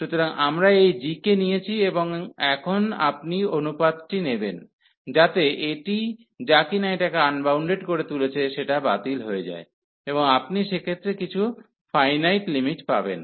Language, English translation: Bengali, So, we have taken this g, and now you will take the ratio, so that this which is making it unbounded will cancel out, and you will get some finite limit in that case